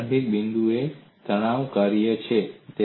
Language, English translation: Gujarati, So the starting point, is a stress function